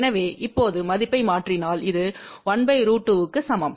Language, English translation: Tamil, So, if we substitute the value now, this is equal to 1 by square root 2